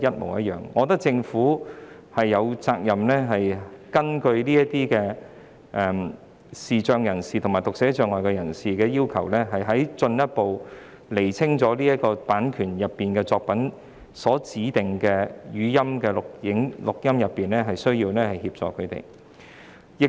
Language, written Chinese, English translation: Cantonese, 我認為政府有責任按視障及讀寫障礙人士的需要，進一步釐清版權作品所涵蓋的語音形式作品，以便向他們提供所需的協助。, In my view the Government has the responsibility to further clarify the audio forms of works covered under copyright works in the light of the needs of persons with visual impairments or dyslexia thereby providing them with the necessary assistance